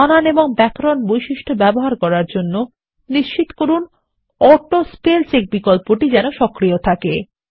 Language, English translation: Bengali, To use the Spelling and Grammar feature, make sure that the AutoSpellCheck option is enabled